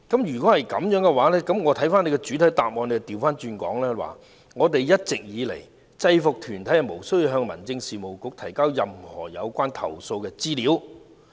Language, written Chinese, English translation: Cantonese, 然而，我看到你的主體答覆則反過來說："一直以來，制服團體無需向民政事務局提交任何有關投訴的資料。, However I see that what you said in the main reply is that All along UGs are not required to submit information about complaints to the Home Affairs Bureau